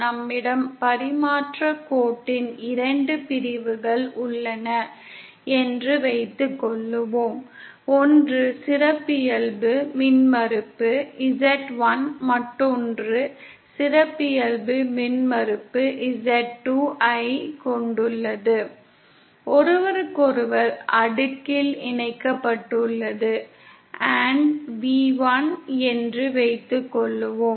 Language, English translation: Tamil, Suppose we have 2 sections of transmission line, one having characteristic impedance z1 the other having characteristic impedance z2, connected with each other in cascade & suppose v1